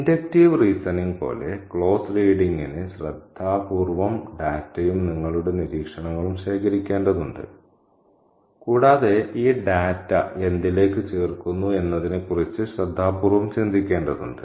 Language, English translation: Malayalam, And as with inductive reasoning, closed reading requires careful gathering of data, your observations and the more important thing is careful thinking about what these data add up to